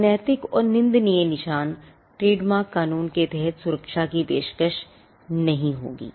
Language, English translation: Hindi, Marks that are immoral and scandalous will not be offered protection under the trademark law